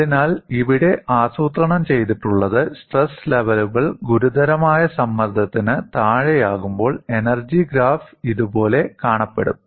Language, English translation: Malayalam, So, what is plotted here is, when the stress levels are below the critical stress, the energy graph would look like this